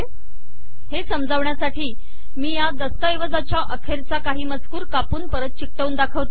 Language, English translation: Marathi, To explain this, let me cut and paste some text from the bottom of this document